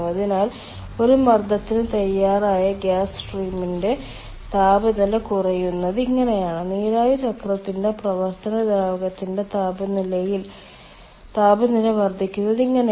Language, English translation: Malayalam, so this is how, in for a single pressure, this is how the temperature of the gas stream ready is getting reduced and this is how the temperature of the working fluid of the steam, ah cycle that is increasing